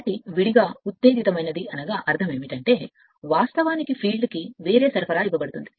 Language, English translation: Telugu, So, if you look into that a separately excited means the field actually is given a different your supply right